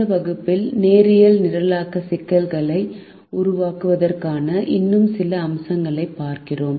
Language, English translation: Tamil, in this class we look at some more aspects of formulating linear programming problems